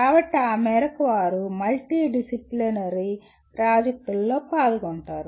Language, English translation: Telugu, So to that extent they are involved in multidisciplinary projects